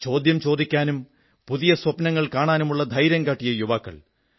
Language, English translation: Malayalam, Those youth who have dared to ask questions and have had the courage to dream big